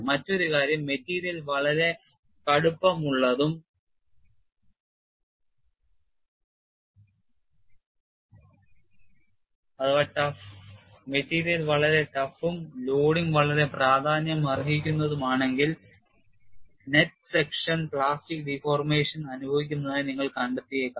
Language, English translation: Malayalam, Another aspect is, if the material is very tough and also if a loading is quite significant, you may find the net section is experiencing plastic deformation